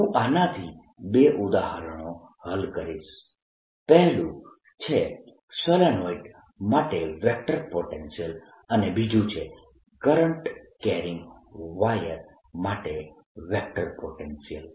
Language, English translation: Gujarati, two examples: one will be vector potential for a solenoid carrying certain current and two, vector potential for a current carrying wire